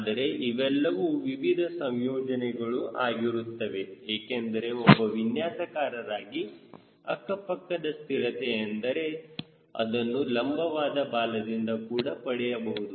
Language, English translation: Kannada, but then these are the combinations because we understand is the designer, lateral stability we can get from vertical tail also